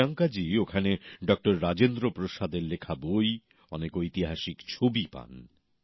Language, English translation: Bengali, There, Priyanka ji came across many books written by Dr Rajendra Prasad and many historical photographs as well